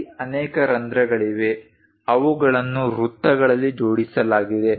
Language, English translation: Kannada, There are many holes they are aligned in circles